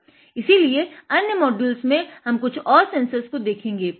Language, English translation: Hindi, Like this we will see a few more sensors